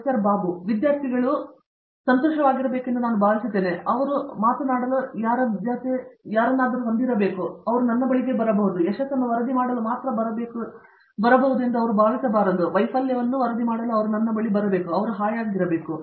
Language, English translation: Kannada, We have an interaction the students feel happy that you know, they have someone to talk to and they can come to me they should not feel that they can come to only to report successes, they should feel comfortable coming to me